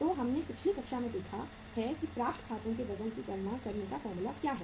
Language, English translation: Hindi, So we have seen in the previous class that what is the formula of calculating the weight of accounts receivable